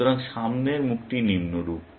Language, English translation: Bengali, So, the forward face is as follows